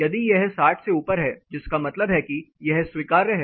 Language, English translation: Hindi, If it is above 60 which means it is compliant